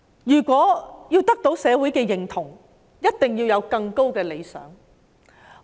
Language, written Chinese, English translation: Cantonese, 如果要得到社會的認同，一定要有更高的理想。, If they want to win recognition from society they must strive after a lofty ideal